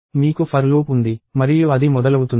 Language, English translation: Telugu, You have a for loop and it starts… it works like this